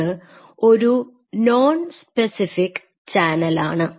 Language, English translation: Malayalam, And this is a non specific channel right